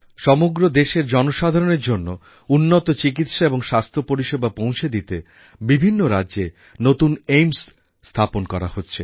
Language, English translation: Bengali, New AIIMS are being opened in various states with a view to providing better treatment and health facilities to people across the country